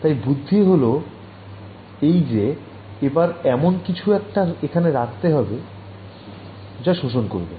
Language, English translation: Bengali, So, the idea is that maybe I can put some material over here that absorbs